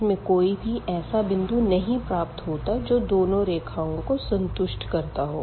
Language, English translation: Hindi, So, this is not possible to have a point which satisfy both the equations